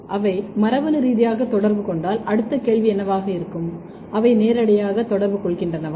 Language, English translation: Tamil, The next thing is that, if they are genetically interacting what would be the next question, are they physically interacting as well